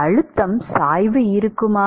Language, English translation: Tamil, Will there be a pressure gradient